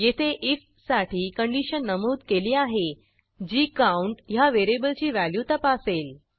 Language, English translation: Marathi, Here we have specified a condition for if which checks the value of variable count